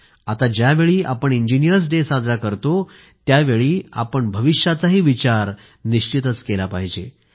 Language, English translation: Marathi, While observing Engineers Day, we should think of the future as well